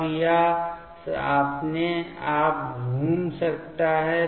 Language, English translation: Hindi, Now, it can rotate itself